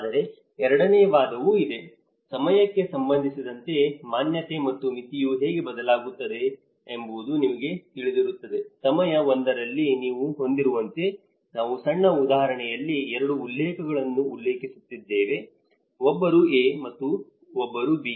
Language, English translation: Kannada, There is also the second argument of it is how in time, how the exposure and the threshold you know how it varies, in time 1, like you have that there are 2 reference points which we are referring in this small example, one is A and one is B